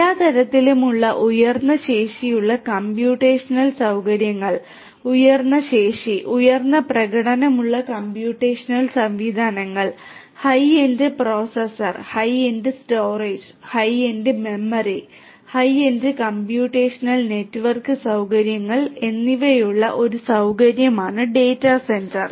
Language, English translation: Malayalam, Data centre is basically a facility which has lot of high capacity computational facilities of all kinds high capacity, high performing computational systems having, high end processor, high end storage, high end memory and also high end computational or network facilities